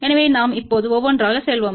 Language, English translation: Tamil, So, we will just go through one by one now